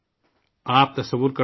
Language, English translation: Urdu, You can imagine